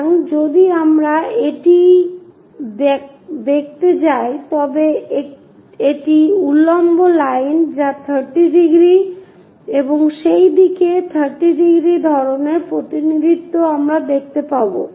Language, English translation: Bengali, So, if we are going to look it this is the vertical line something like 30 degrees on that side and also on that side 30 degrees kind of representation we will see